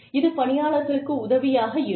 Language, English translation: Tamil, It will help the employees